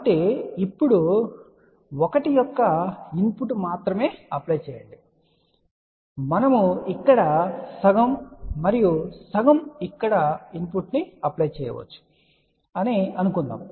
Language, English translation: Telugu, So, now, applying only input of 1 suppose we say that we apply input of half here and half here